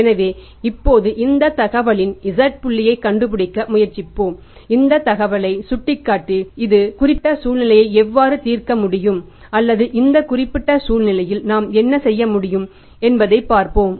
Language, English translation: Tamil, So now let's now try to find out the Z point out of this information, H point out of this information and let's see how we can solve this particular situation or in this particular situation what we can do